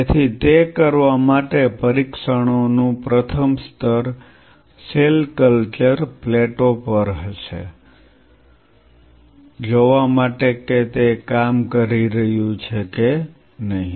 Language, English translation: Gujarati, So, in order to do that, the first level of tests will be on the cell culture plates whether it is working or not